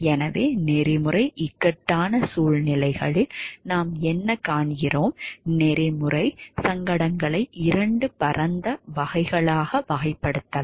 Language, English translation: Tamil, So, what we find is ethical dilemmas, what we find that ethical dilemmas can be classified into two broad categories